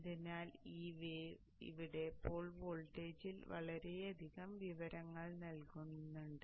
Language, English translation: Malayalam, So this way the voltage, the pool voltage here has so much information in it